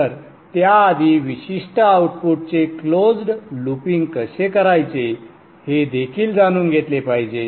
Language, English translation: Marathi, So before that we should also know how to do close looping of a particular output